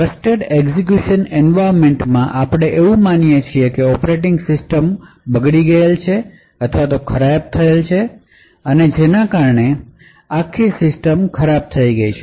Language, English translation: Gujarati, So, in a typical Trusted Execution Environment we assume that the operating system itself is compromised and thus the entire system may be compromised